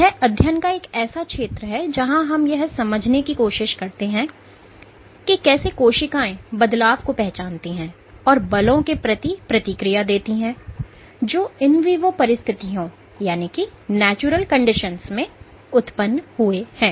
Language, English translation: Hindi, It’s a field of study where we try to understand how cells detect modify and respond to forces that arise under in vivo circumstances